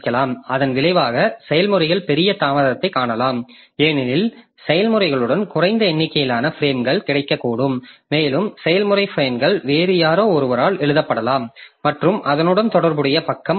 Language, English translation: Tamil, As a result, the processes they may see larger delay because there may be less number of frames available with processes and the process frames may be written by somebody, some other process and the corresponding page getting swapped out